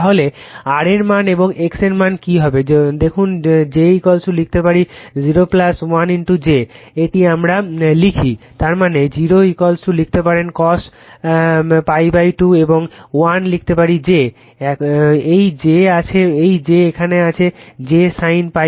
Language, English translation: Bengali, So, what is the what will be the your what you call that R value and X value look , j is equal to you can write , 0 plus 1 into j this we write; that means, 0 is equal to you can write cos pi by 2 , right and 1 you can write j this j is there j sin pi by 2 right